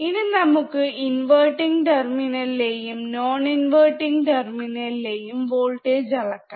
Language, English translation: Malayalam, Now inverting we have to measure voltage at inverting terminal and we have to measure voltage at non inverting terminal